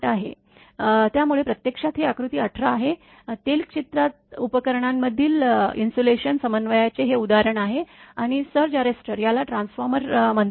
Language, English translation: Marathi, So, this is actually figure 18 this is the illustration of the insulation coordination between oilfield equipment, and surge arrester this is this called the transformer right